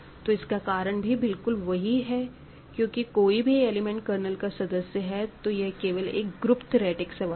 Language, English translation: Hindi, And, the reason that is exactly the same is because whether something is in the kernel or not is really a group theoretic issue here